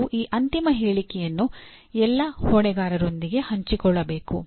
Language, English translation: Kannada, And these final statement should be shared with all stakeholders